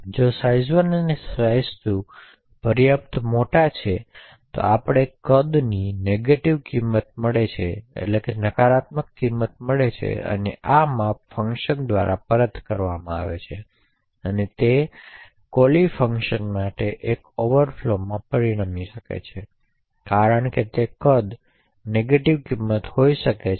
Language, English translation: Gujarati, Therefore if size 1 and size 2 is large enough we may actually obtain size to be a negative value this size is what is returned by the function and since size can be a negative value it could result in an overflow in the callee function